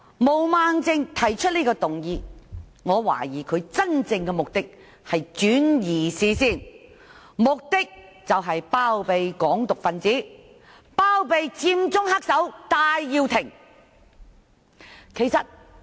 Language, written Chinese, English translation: Cantonese, 毛孟靜議員提出此項議案，我懷疑其真正目的是要轉移視線，包庇"港獨"分子及佔中黑手戴耀廷。, I suspect that the real purpose for Ms Claudia MO to move this motion is to divert the focus so as to harbour those Hong Kong independence advocates and Prof Benny TAI who manipulated the Occupy Central movement behind the scene